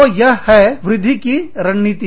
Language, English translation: Hindi, So, that is enhancement strategy